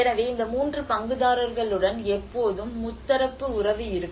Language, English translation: Tamil, So there is always a tripartite relationship with these 3 stakeholders